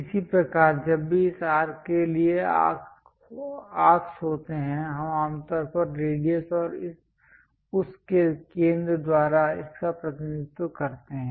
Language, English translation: Hindi, Similarly, whenever there are arcs for this arc we usually represent it by radius and center of that